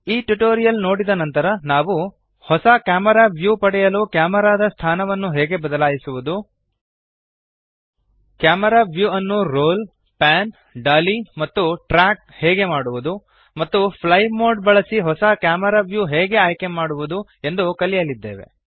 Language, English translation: Kannada, After watching this tutorial, we shall learn how to change the location of the camera to get a new camera view how to roll, pan, dolly and track the camera view and how to select a new camera view using the fly mode